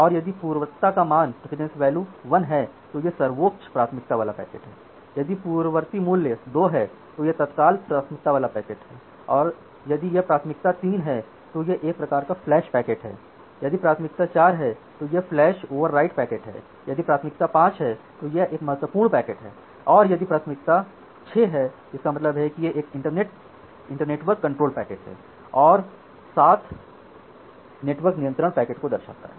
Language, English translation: Hindi, Then if the precedence value is 1 it is the highest priority packet, if the precedence value is 2 it is the immediate priority packet, if it is a priority 3 it is a kind of flash packet, if it is priority 4 flash override packet, for 5 the kind of critical packet, for 6 it is internetwork control packets 7 it is network control packets